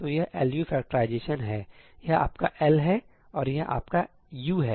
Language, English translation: Hindi, So, this is the LU factorization ; this is your L and this is your U